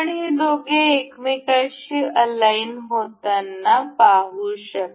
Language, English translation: Marathi, You can see these two getting aligned to each other